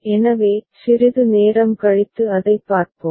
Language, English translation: Tamil, So, we shall look at that little later